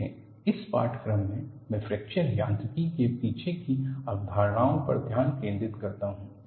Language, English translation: Hindi, See, in this course, I focus on the concepts behind fracture mechanics